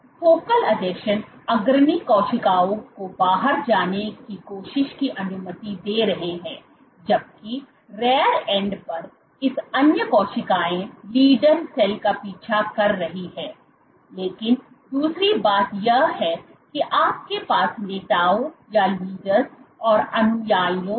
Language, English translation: Hindi, So, what the focal adhesions are allowing is this leading cells to kind of trying to go outside while these other cells at the rear end are following the leader cell so, but the other thing is